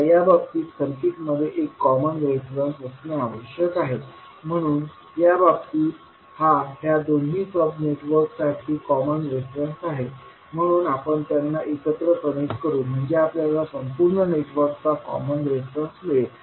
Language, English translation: Marathi, Now, in this case the circuit must have one common reference, so in this case this is the common reference for both sub networks, so we will connect them together so that we get the common reference of overall network